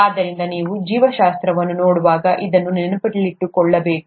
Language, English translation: Kannada, So, you need to keep this in mind when you are looking at biology